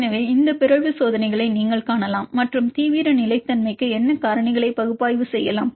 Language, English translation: Tamil, So, you can see these mutant test and analyze what factors for the extreme stability